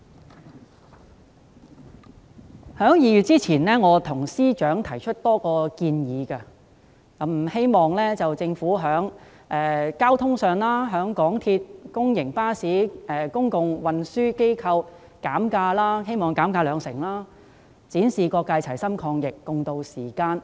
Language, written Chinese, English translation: Cantonese, 我在2月前曾向司長提出多項建議，希望政府在交通費用方面，鼓勵香港鐵路有限公司、公營巴士及公共運輸機構調低車費兩成，以展示各界齊心抗疫，共渡時艱。, I had put forward a number of proposals to the Financial Secretary before February hoping that the Government would in respect of transport cost encourage the MTR Corporation Limited MTRCL public buses and public transport operators to reduce fares by 20 % so as to showcase the joint efforts of various sectors in fighting the epidemic and tiding over the difficult times